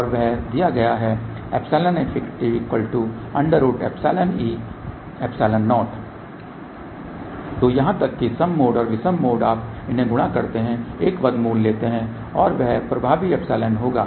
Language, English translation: Hindi, So, even mode and odd mode you multiply them take a square root and that will be epsilon effective